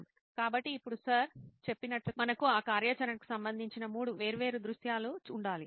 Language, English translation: Telugu, So now like sir mentioned we have to have three different scenarios related to that activity